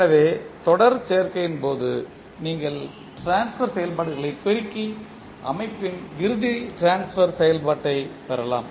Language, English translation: Tamil, So in case of series combination you can multiply the transfer functions and get the final transfer function of the system